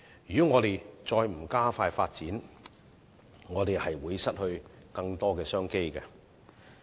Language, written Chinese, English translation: Cantonese, 如果香港不急起直追，就會失去更多商機。, Should Hong Kong fail to catch up on this front it will lose even more business opportunities